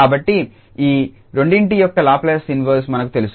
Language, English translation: Telugu, So, we know the Laplace inverse of these two